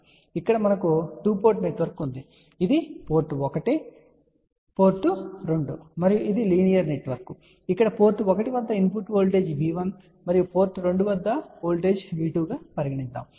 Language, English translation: Telugu, So, here we have a two port network, so port 1, port 2 and this is a linear network and let us see that the input voltage here at port 1 is V 1 and at port 2 voltage is V 2